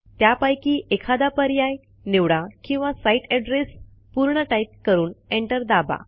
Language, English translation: Marathi, You may choose one of these or type in the complete address and press enter